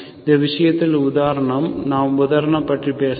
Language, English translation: Tamil, So in this case, the example, we have not talked about the example